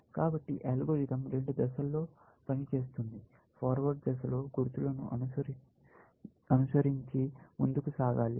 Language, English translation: Telugu, So, the algorithm works in two phases; in the forward phase, you move forward following the markers